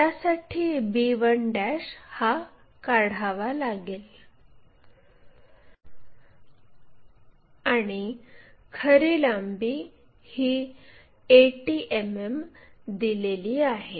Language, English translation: Marathi, So, a 1 b 1 also let us locate it because thetrue length is 80 mm is given